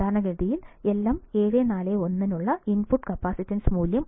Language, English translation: Malayalam, Typically, the value of input capacitance for LM741 is 1